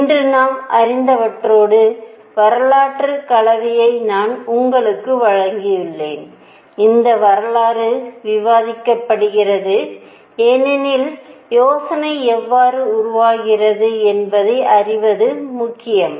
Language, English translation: Tamil, I have given you the piece of history mix with what we know today, that this history is discussed because it is important to know how idea is developed